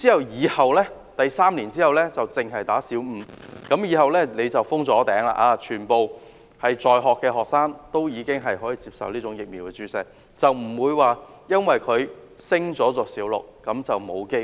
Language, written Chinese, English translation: Cantonese, 然後 ，3 年後才開始只為小五女學童注射，以後便可封頂，因為全部在學學生都已經接種了這疫苗，不致因為她們升讀小六便失去接種機會。, Then three years later when all school girls will have received the vaccination already HPV vaccination to school girls of Primary Five only can begin as a cap will already be there . In this way a girl will not lose the chance of vaccination just because she is promoted to Primary Six